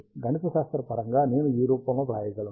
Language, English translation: Telugu, Mathematically, I can write it in this form